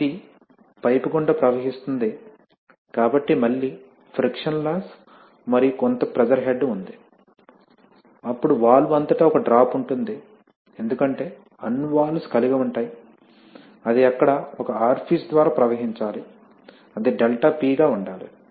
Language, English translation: Telugu, Then this flows through the pipe, so again there is a friction loss and there is some pressure head, then there is a drop across the valve because all, because all valves will have a, you know if it has to flow through an orifice there has to be a ∆P